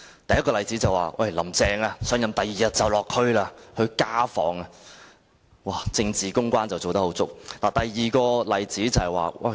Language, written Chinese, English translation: Cantonese, 第一個例子是，"林鄭"上任翌日便落區進行家訪，真是做足政治公關工作。, The first example is that Carrie LAM conducted a home visit on the following day after her assumption of office . She has really done a good job in respect of political public relations